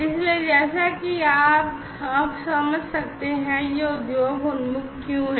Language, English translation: Hindi, So, as you can now understand, why it is industry oriented